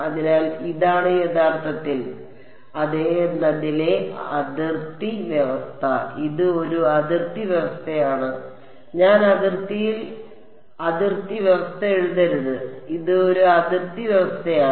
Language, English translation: Malayalam, So, this is in fact, the boundary condition on yeah it is a boundary condition I should not write boundary condition on boundary it is a boundary condition all right